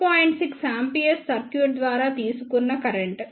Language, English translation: Telugu, 6 ampere current drawn by the circuit